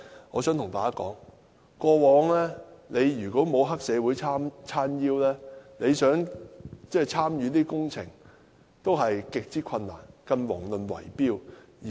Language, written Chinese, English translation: Cantonese, 我想告訴大家，過往如果沒有黑社會"撐腰"，想參與工程也極之困難，更遑論圍標。, I would like to tell Members that without the backing of triads it is extremely difficult to engage in the works not to mention bid - rigging